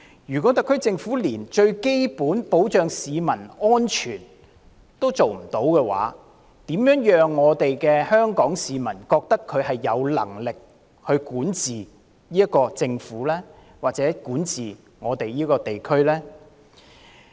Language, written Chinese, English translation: Cantonese, 如果特區政府連最基本的保障市民安全的工作也做得不好，香港市民如何會認同特區政府有能力管治這個地區呢？, If the SAR Government cannot even do its job well in providing members of the public with the most basic protection for their personal safety how can Hong Kong people consider that the SAR Government does have the ability to govern the territory?